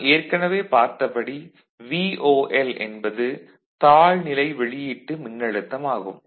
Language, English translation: Tamil, So, VOL we have already seen, the voltage at the output which is treated as low